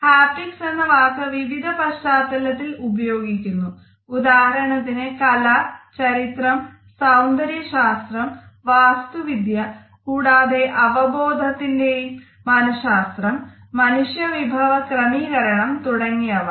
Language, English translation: Malayalam, The term haptics is deployed in various contexts for example in art history in aesthetics and architecture, and more frequently in the psychology of perception and engineering in man management in human resources